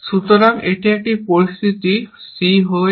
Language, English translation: Bengali, So, this is a situation; c is on d